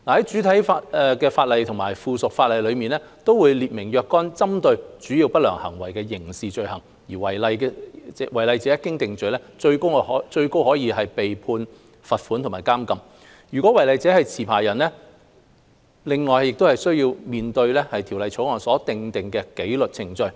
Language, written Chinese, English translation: Cantonese, 主體法例和附屬法例會列明若干針對主要不良行為的刑事罪行，違例者一經定罪，最高可處罰款和監禁。如果違例者是持牌人，另須面對《條例草案》所訂的紀律程序。, Certain criminal offences targeted against major unscrupulous acts will be set out in the primary and subsidiary legislation . Offenders on conviction will be liable to a maximum punishment of a fine and imprisonment and those that are licensees will also be subject to disciplinary proceedings as stipulated in the Bill